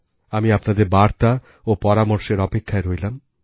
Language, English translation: Bengali, I will wait for your say and your suggestions